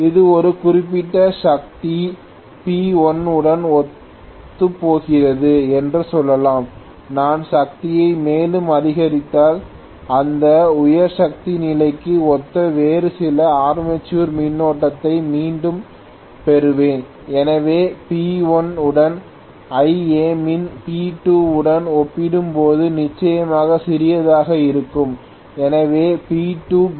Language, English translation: Tamil, Let us say this correspond to a particular power P1, if I increase the power further I will again get some other armature current corresponding to that higher power condition, so Ia minimum for P1 will be definitely smaller as compared to P2 if P2 is greater than P1, so I should draw one more graph which is probably like this right